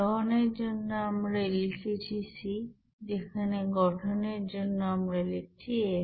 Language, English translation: Bengali, For combustion we are writing c, whereas for formation we are writing f